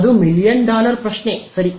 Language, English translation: Kannada, That is the sort of million dollar question ok